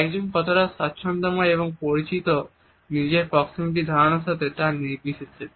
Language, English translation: Bengali, Irrespective of the fact how comfortable and familiar one is in ones understanding of proximity